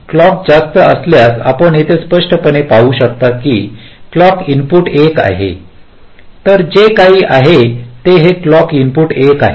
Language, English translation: Marathi, so you can see here clearly: if clock is high, lets say clock input is one, then whatever this clock input is one